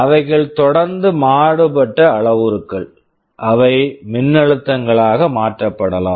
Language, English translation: Tamil, They are continuously varying parameters that can be translated to voltages